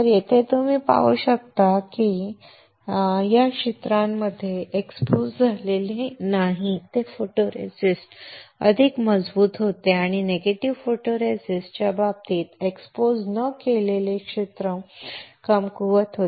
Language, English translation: Marathi, Here you can see that the photoresist under the area which was not exposed becomes stronger and in the negative photoresist case the area not exposed becomes weaker